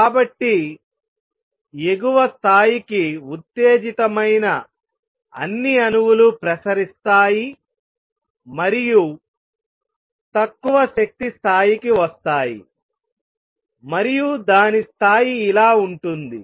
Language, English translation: Telugu, So, all the atoms that have been excited to an upper level would radiate and come down to lower energy level and the rate would be like this